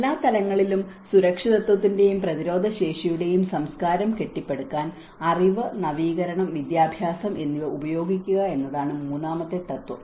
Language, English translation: Malayalam, The third principle is use knowledge, innovation, and education to build a culture of safety and resilience at all levels